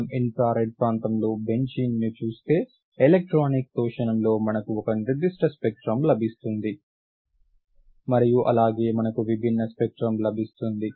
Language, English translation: Telugu, If we look at the benzene in the infrared region we will get a certain other spectrum in the photo electron, in the electronic absorption in we will get different spectrum